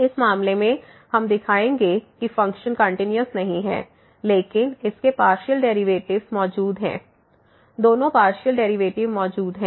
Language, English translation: Hindi, In this case, we will show that the function is not continuous, but its partial derivatives exist; both the partial derivatives exist